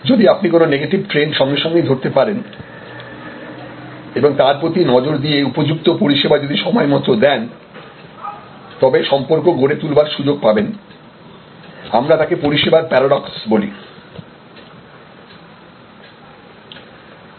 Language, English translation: Bengali, So, that you can immediately spot negative trends and address those and if the service can be recovered in time and efficiently, then it actually creates an opportunity to create a relationship, which we call service paradox